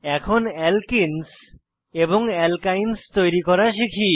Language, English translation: Bengali, Lets learn how to create alkenes and alkynes